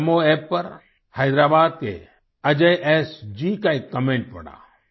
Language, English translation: Hindi, I read a comment by Ajay SG from Hyderabad on the NaMo app